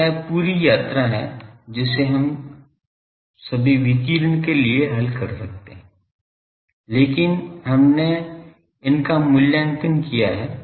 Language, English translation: Hindi, So, this is the whole journey that we can solve for the all radiation, but we have not evaluated these